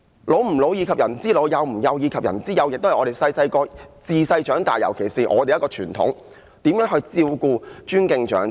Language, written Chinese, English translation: Cantonese, "老吾老，以及人之老；幼吾幼，以及人之幼"，這也是自小學習的一種傳統，我們要照顧、尊敬長者。, Another tradition which we have learnt since our childhood is to care for my own aged parents and extend the same care to the aged parents of others; love my own young children and extend the same love to the children of others and that we should care and respect the elderly